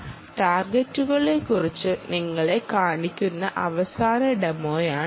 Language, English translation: Malayalam, this is the last demonstration to show you about the targets